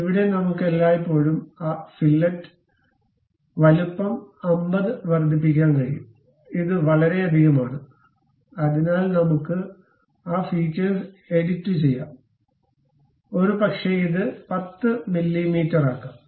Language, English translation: Malayalam, Here we can always increase that fillet size 50; it is too much, so let us edit that feature, maybe make it 10 mm